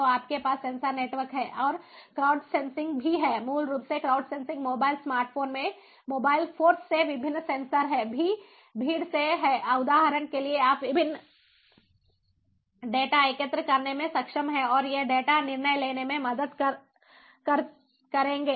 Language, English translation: Hindi, crowd sensing, basically, is from the crowd, the, from the different sensors in the mobile force, ah, in the smart phones, for instance, you are able to collect the different data and these data will help in in decision making